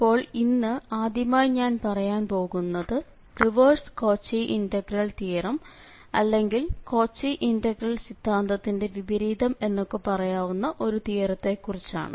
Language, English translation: Malayalam, So today first let me just tell you that this Cauchy integral theorem there is called the reverse or the converse of this Cauchy integral theorem just to mention we are not going into the detail, we will directly move for Cauchy integral formula